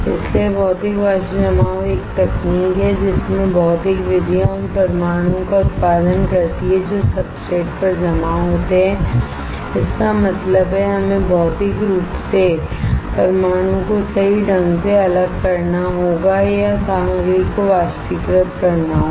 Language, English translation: Hindi, So, Physical Vapor Deposition is a technique right in which physical methods produce the atoms that deposit on the substrate; that means, we have to physically dislodge the atoms right or vaporize the material